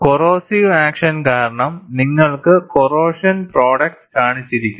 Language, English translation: Malayalam, Because the corrosive action, you have corrosion product shown